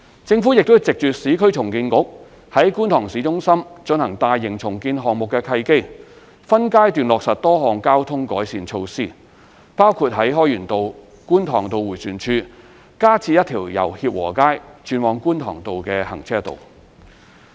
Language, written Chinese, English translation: Cantonese, 政府亦藉着市區重建局於觀塘市中心進行大型重建項目的契機，分階段落實多項交通改善措施，包括在開源道/觀塘道迴旋處加設一條由協和街轉往觀塘道的行車道。, In addition a number of traffic improvement measures would be implemented under the Kwun Tong Town Centre Redevelopment by the Urban Renewal Authority in phases including the provision of a left - turn lane from Hip Wo Street to Kwun Tong Road at the Hoi Yuen RoadKwun Tong Road roundabout